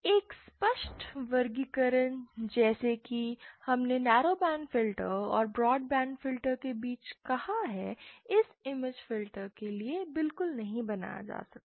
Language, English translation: Hindi, So a clear classification like we have said between narrow band and the broad band filters cannot exactly be made for this image filters